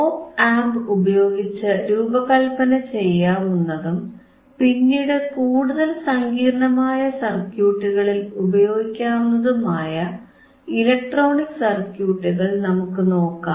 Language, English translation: Malayalam, So, now what we are looking at the electronic circuits that we can design using op amp and those circuits you can further use it in more complex circuits